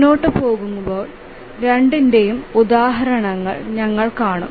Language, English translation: Malayalam, We will see examples of both as we proceed